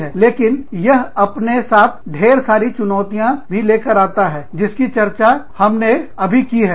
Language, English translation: Hindi, But, that brings with it, a whole slew of challenges, that we just discussed